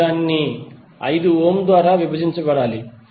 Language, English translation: Telugu, You have to simply divide it by 5 ohm